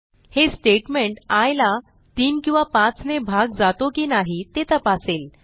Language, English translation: Marathi, This statement checks whether i is divisible by 3 or by 5